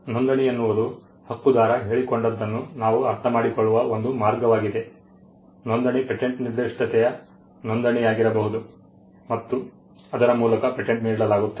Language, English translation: Kannada, Registration is a way in which we can understand what the right holder has claimed, registration could be a registration of a patent specification by which a patent is granted